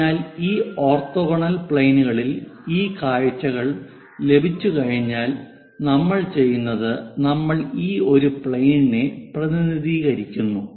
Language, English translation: Malayalam, So, once these views are obtained on these orthogonal planes, what we do is we represents this one plane ; the red plane let us consider